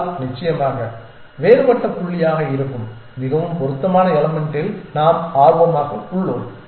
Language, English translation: Tamil, But of course, we are interested in the most fit element that is the different point essentially